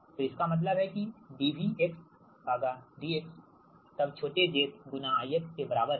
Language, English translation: Hindi, so that means that d v x upon d x then is equal to small z into i x